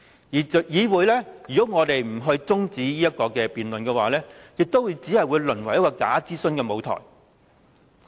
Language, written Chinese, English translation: Cantonese, 如果議會不提出辯論中止待續的議案，只會淪為假諮詢的舞台。, If the legislature does not propose the adjournment debate it will be reduced to a mere stage of bogus consultation